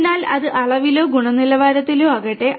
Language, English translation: Malayalam, So, whether it is with respect to the quantity or quality